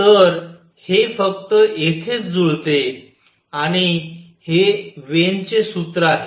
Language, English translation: Marathi, So, it matches only here and this is Wien’s formula